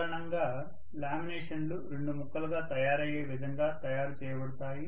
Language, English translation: Telugu, Generally, laminations are made in such a way that they will be made by 2 pieces